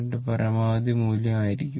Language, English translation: Malayalam, 637 into maximum value right